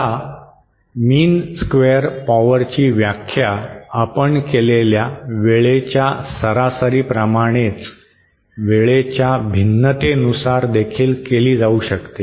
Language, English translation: Marathi, Now the mean square power can be defined in terms of its variation with time just like the time average that we defined